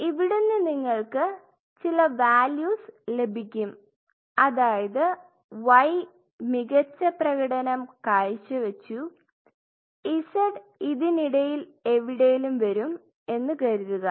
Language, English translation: Malayalam, So, you will see certain values coming suppose I assume y performs the best z is somewhere in between